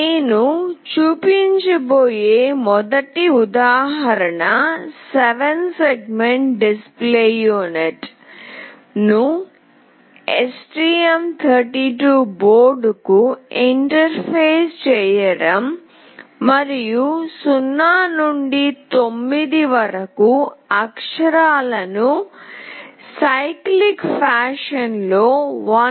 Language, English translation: Telugu, The first example that I will be showing is for interfacing 7 segment display unit to the STM32 board, and display the characters from 0 to 9 in a cyclic fashion with a time delay of 1